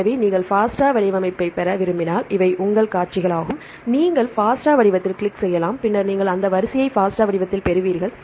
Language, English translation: Tamil, So, these are your sequences if you want to get the FASTA format you can click into FASTA format and then you will get the sequence in FASTA format